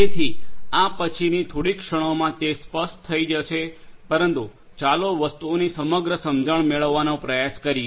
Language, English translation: Gujarati, So, that this will make it clearer in the next few moments, but let us try to get an overall understanding of the things